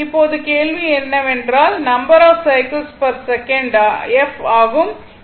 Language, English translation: Tamil, So, now question is that your this number of cycles per second that is f